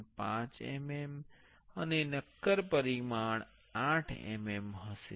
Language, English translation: Gujarati, 5 mm and the solid dimension will be 8 mm